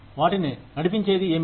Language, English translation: Telugu, What will drive them